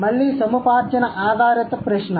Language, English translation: Telugu, Again acquisition based question